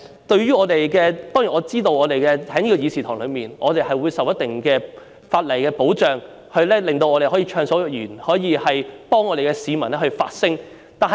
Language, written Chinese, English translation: Cantonese, 當然，我知道在這個議事堂內，我們受到一定的法例保障，令我們可以暢所欲言，可以為市民發聲。, I of course know that while inside this Council we are entitled to a degree of legal protection which allows us to speak freely and to voice the views of the people